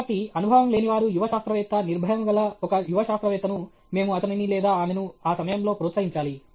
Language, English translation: Telugu, So, being inexperienced, a young scientist is fearless; a young scientist is fearless, then we should encourage him or her at that point in time